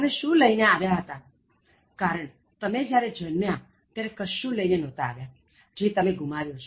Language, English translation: Gujarati, What did you bring, because you didn’t bring anything when you are born, that you have lost